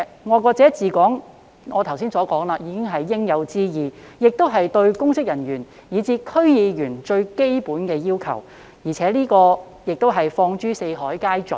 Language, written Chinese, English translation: Cantonese, 我剛才已指出，"愛國者治港"是應有之義，也是對公職人員以至區議員最基本的要求，放諸四海皆準。, As I pointed out just now it should be the obligation and most basic requirement of public officers and even DC members to implement the principle of patriots administering Hong Kong which is a universal principle